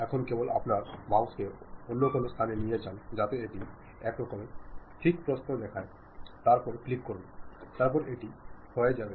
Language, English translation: Bengali, Now, just move your mouse to some other location it shows some kind of thickness width, then click, then this is done